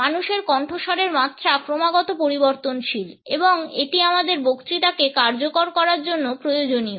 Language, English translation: Bengali, The pitch of human voice is continuously variable and it is necessary to make our speech effective